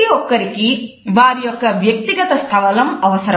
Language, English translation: Telugu, Everyone needs their own personal space